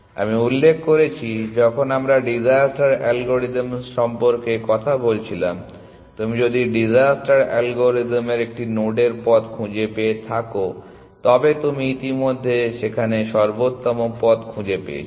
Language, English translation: Bengali, I mentioned, when we were talking about disaster algorithm, that if you have found the path to a node in disasters algorithm you have already found optimal path to there